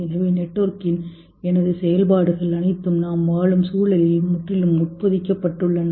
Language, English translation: Tamil, So all my functioning of network is totally embedded in the context in which I am living